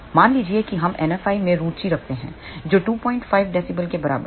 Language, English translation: Hindi, Suppose we are interested in NF i equal to 2